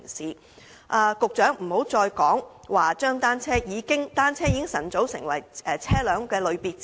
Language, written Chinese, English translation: Cantonese, 請局長不要再指單車早已成為車輛的類別之一。, The Secretary should refrain from saying anymore that bicycles are already categorized as a type of vehicle